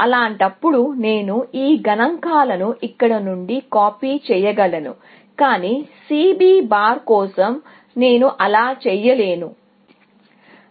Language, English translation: Telugu, In that case, I can just copy these figures from here, but for C B bar, I cannot do that; why